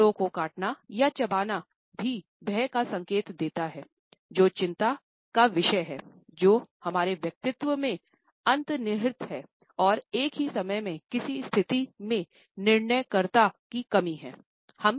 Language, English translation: Hindi, Biting lips or chewing on the lips, also indicates fear, a sense of anxiety which is underlying in our personality and at the same time is certain lack of decisiveness in the given situation